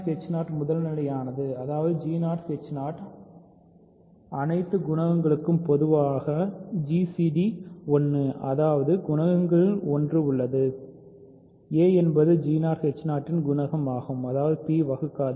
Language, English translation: Tamil, But g 0 h 0 is primitive; that means, there is no common gcd of all the coefficients of g 0 h 0 is 1; that means, there exists a one of the coefficients; a is a coefficient of g 0 h 0 such that p does not divide